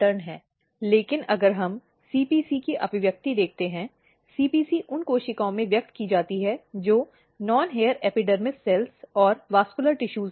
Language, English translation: Hindi, But if we look the expression of CPC; CPC is expressed in the cells which are non hair epidermis cells and the vascular tissue